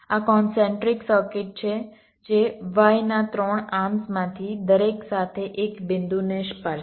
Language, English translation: Gujarati, these are concentric circuits which are touch in one of the points along each of the three arms of the y